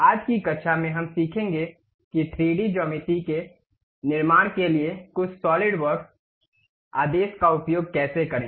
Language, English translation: Hindi, In today's class, we will learn how to use some of the Solidworks command to construct 3D geometries